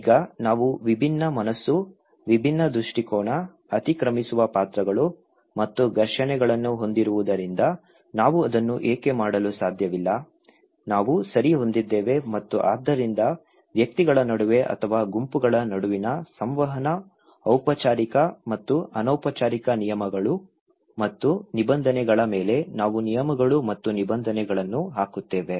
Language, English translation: Kannada, Now, why we cannot do it because we have different mind, different perspective, overlapping roles and conflicts we have, we possess okay and so, we put rules and regulations upon interactions between individuals or between groups, formal and informal rules and regulations